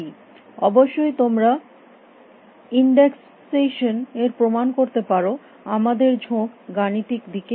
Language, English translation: Bengali, Of course, you can give a proof by indexation we are more mathematically inclined